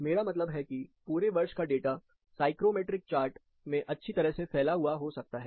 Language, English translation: Hindi, I mean the whole year data might be dispersed well across the psychrometric chart